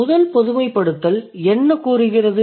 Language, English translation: Tamil, So, what is the first generalization